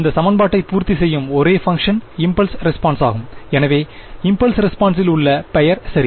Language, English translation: Tamil, The only function that will satisfy this equation is the impulse response itself and hence the name in impulse response ok